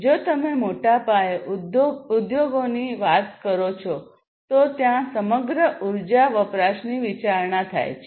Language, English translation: Gujarati, So, you know if you are talking about large scale enterprises there is a consideration of the energy; energy consumption as a whole